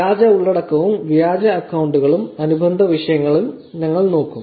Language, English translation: Malayalam, We will actually look at fake content, fake accounts and related topics